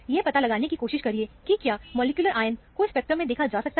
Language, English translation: Hindi, Try to ascertain, if the molecular ion is seen in the spectrum also